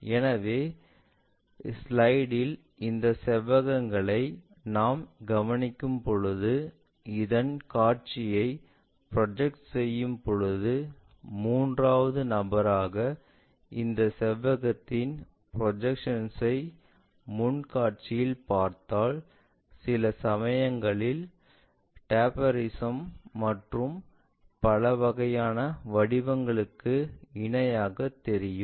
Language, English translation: Tamil, So, in the same way on our slide when we are observing this rectangles, the views when you are projecting, as a third person if you are looking at that front view projected ones this rectangle drastically changes to parallelogram sometimes trapezium and many other kind of shapes